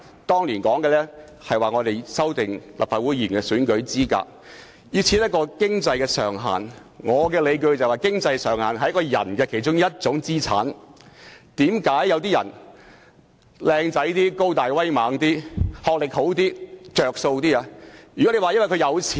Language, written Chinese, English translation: Cantonese, 當年在討論有關立法會議員選舉資格時，有建議設立經濟上限，但我認為經濟上限屬於個人資產之一，就正如有些人外貌英俊、高大威猛和學歷較高會較佔優一樣。, During the discussion of the eligibility requirements for candidates of the Legislative Council elections back then there was a proposal to prescribe a maximum amount of election expenses . In my opinion the financial means of a person was inter alia an asset similar to handsome appearance wellbuilt body and good academic qualification which would enable him to enjoy a competitive edge over other people